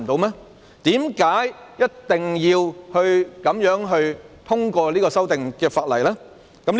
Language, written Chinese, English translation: Cantonese, 為甚麼一定要這樣通過這項法例修訂呢？, Why should the Government insist on the passage of this legislative amendment in such a way?